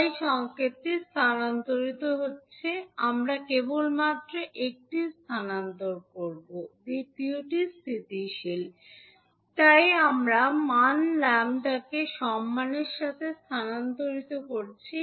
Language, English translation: Bengali, So what is happening now that the signal is shifting because you are shifting it so the signal is shifting, we will only shift one, second one is stationary so we are shifting with respect to the value lambda